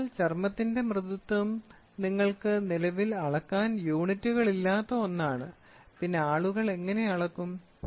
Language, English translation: Malayalam, So, softness of a skin is something which currently you do not have any units to measure, then how do people measure